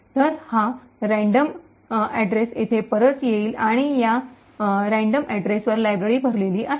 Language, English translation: Marathi, So, this random address then returns here and at this random address is where the library is loaded